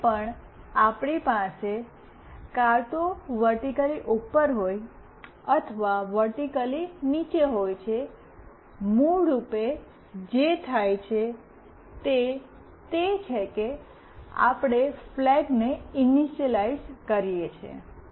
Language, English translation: Gujarati, Whenever we have either it is vertically up or it is vertically down, what is basically done is that we are initializing a flag